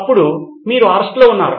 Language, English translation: Telugu, Then you are under arrest